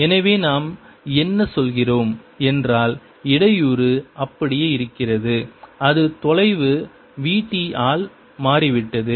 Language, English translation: Tamil, so what we are saying is that the disturbance remain the same as has shifted by distance, v, t